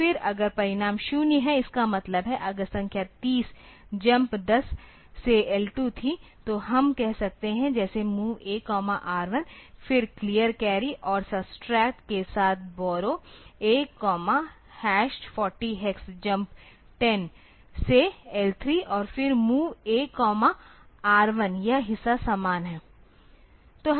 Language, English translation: Hindi, So, again, so if the number is, if the result is 0; that means, if the number was 3 0 jump 1 0 to L 2, then we can say like say MOV A comma R 1, again clear carry and subtract with borrow A comma hash 4 0 hex jump 1 0 2 L 3 and then MOV A comma R 1 this part is similar